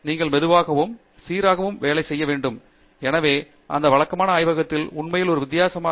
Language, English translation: Tamil, You have to keep working on it slowly and steadily and therefore, those regular hours in the lab really make a difference